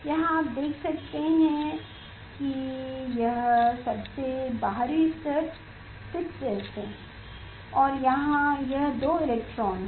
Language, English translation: Hindi, here you can see this outer most level is 6s and here this two electrons are there